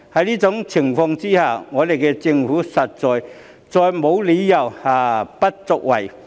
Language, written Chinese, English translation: Cantonese, 在這情況下，政府官員實在再沒有理由不作為。, Under such circumstances there is indeed no justification for inaction on the part of government officials anymore